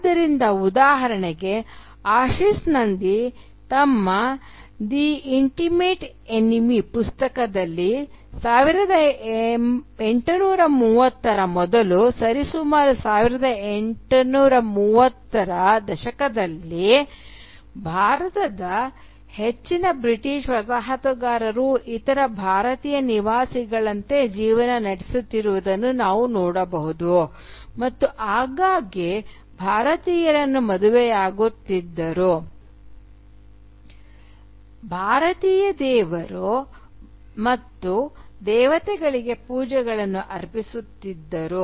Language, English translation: Kannada, So, for instance, as Ashis Nandy points out in his book The Intimate Enemy, before the 1830’s, roughly the 1830’s, we can see most British Colonisers in India living life just like other Indian inhabitants and often marrying Indian wives and even offering pujas to Indian gods and goddesses